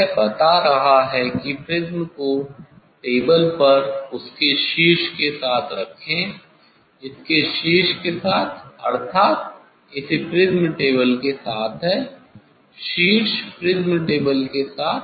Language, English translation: Hindi, it is telling that place the prism on table with its vertex, with its vertex means this with that of the prism table, with the vertex that of the prism table